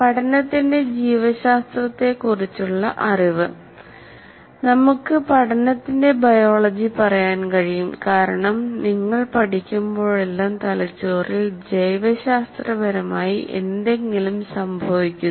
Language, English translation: Malayalam, And knowledge of biology of learning, we can say biology of learning because every time you are learning something biologically happening in the brain and how much an individual's environment can affect the growth and development of the brain